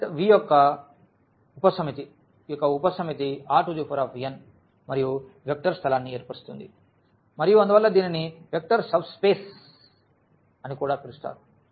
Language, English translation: Telugu, Note that this V the set V is a subset of is a subset of this R n and forms a vector space and therefore, this is called also vector subspace